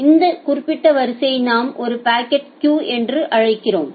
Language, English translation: Tamil, So, this particular queue we call it as a packet queue